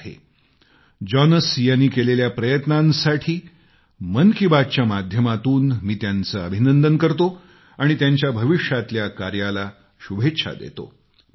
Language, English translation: Marathi, Through the medium of Mann Ki Baat, I congratulate Jonas on his efforts & wish him well for his future endeavors